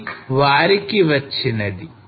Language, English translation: Telugu, And this is what they got